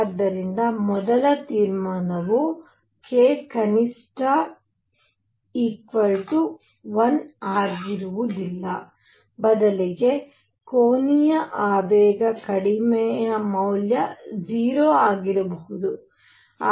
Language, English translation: Kannada, All right, so, first conclusion that was drawn is k minimum is not equal to 1, rather angular momentum lowest value can be 0